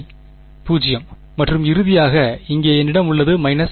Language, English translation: Tamil, 0 right and finally, over here I have minus 1 right